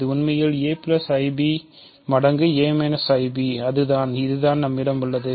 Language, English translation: Tamil, It is actually just a plus i b times a minus i b, that is what we have